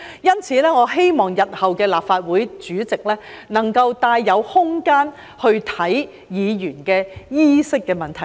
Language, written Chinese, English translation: Cantonese, 因此，我希望日後的立法會主席能夠帶有空間審視議員衣飾的問題。, For this reason I hope that the future President of the Legislative Council will allow some room for examination of the dress code for Members